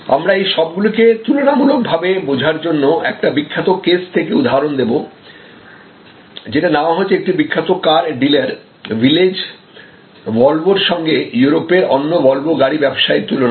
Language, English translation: Bengali, So, here if we are comparing say for example, a particular this is taken from a famous case, a car dealer, Village Volvo and comparing them with other Volvo car dealers in Europe